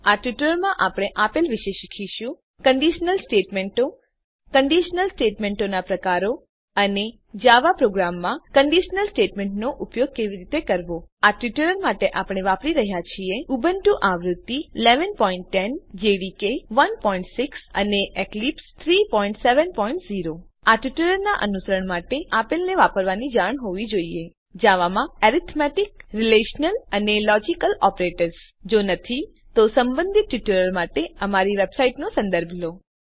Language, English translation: Gujarati, In this tutorial we will learn: * About conditional statements * types of conditional statements and * How to use conditional statements in Java programs For this tutorial we are using: Ubuntu v 11.10 JDK 1.6 and Eclipse 3.7.0 To follow this tutorial you should have knowledge of using * Arithmetic, Relational and Logical operators in Java If not, for relevant tutorials please visit our website which is as shown